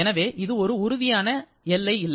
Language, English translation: Tamil, So, you are having a real boundary